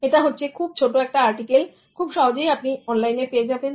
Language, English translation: Bengali, So this is a very small article available online if you want to refer to